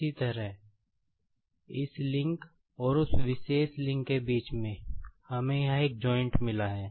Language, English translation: Hindi, Similarly, in between this link, and that particular link, we have got a joint here